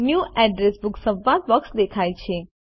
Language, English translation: Gujarati, The New Address Book dialog box appears